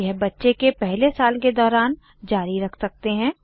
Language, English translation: Hindi, This can continue during the first year of the baby